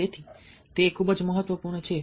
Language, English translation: Gujarati, so that's very important